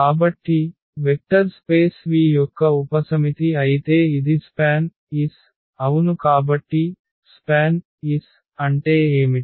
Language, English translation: Telugu, So, if as is a subset of a vector space V then this is span S yes so, what is span S